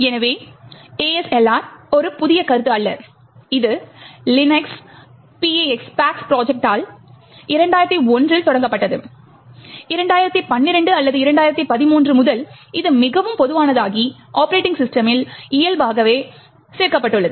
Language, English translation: Tamil, So, the ASLR is not a new concept, it was initiated by the Linux PaX project in 2001 and since 2012 or 2013 it is becoming quite common and added by default in the operating system